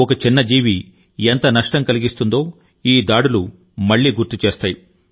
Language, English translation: Telugu, These attacks again remind us of the great damage this small creature can inflict